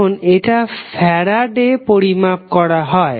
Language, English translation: Bengali, Now, it is measured in farads